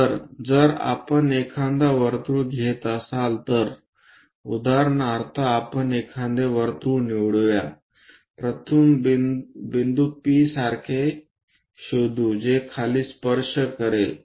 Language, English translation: Marathi, So, if we are taking a circle, for example, let us pick a circle, locate the first point something like P which is going to touch the bottom